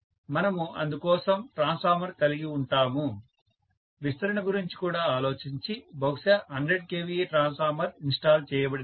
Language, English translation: Telugu, So maybe we had a transformer which is amounting to even thinking about expansion, maybe 100 kVA transformer was installed